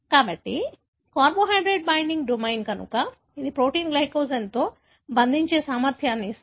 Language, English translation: Telugu, So, carbohydrate binding domain, so it gives the ability for the protein to bind to glycogen